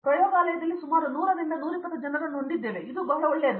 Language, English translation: Kannada, We have around to 100 to 120 people in the lab and that is very, very good